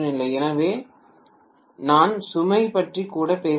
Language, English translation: Tamil, So I am not even talking about load